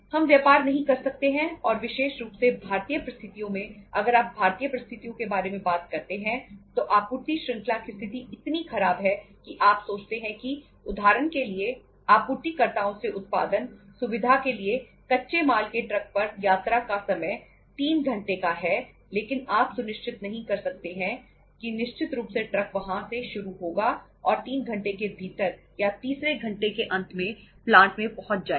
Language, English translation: Hindi, We canít do business and especially in the Indian conditions if you talk about the Indian conditions the supply chain situation is so bad that you think that for example from suppliers place to the production facility the travel time for a truckload of raw material is say 3 hours but you canít be sure that certainly the truck will start from there and will reach at the plant at the manufacturing facility within 3 hours or at the end of the third hour